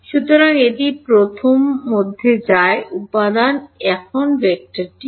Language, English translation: Bengali, So, this goes into the first component now what are the vector E